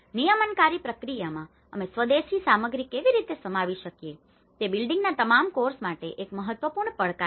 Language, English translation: Gujarati, How can we accommodate the indigenous materials in the regulatory process, that is an important challenge for all the building course